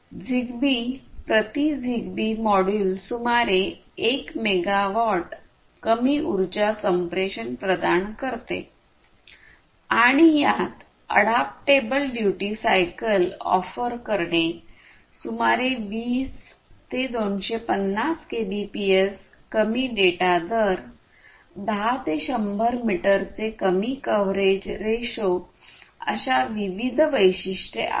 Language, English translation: Marathi, So, it provides low power communication around 1 megawatt per ZigBee module and it has different features such as offering adaptable duty cycle, low data rates of about 20 to 250 Kbps, low coverage ratio of 10 to 100 meter and so on